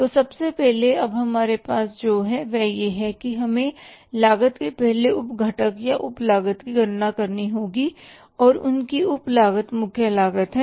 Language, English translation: Hindi, So, first of all now what we have to do here is that we will have to calculate the first sub component of the cost or the sub cost and that sub cost is the prime cost